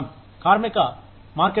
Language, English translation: Telugu, Labor market conditions